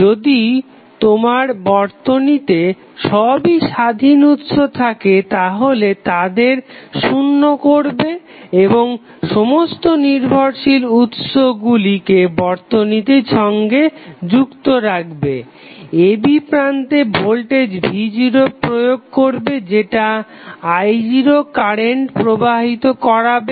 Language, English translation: Bengali, If you have circuit with all independent sources set equal to zero and the keeping all the dependent sources connected with the network the terminal a and b would be supplied with voltage v naught which will supply some current i naught